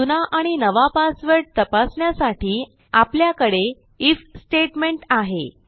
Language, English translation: Marathi, Checking our old passwords and our new passwords is just a simple IF statement